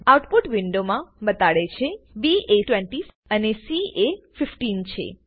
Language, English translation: Gujarati, In the Output window, it shows me the output as: b is 20 and c is 15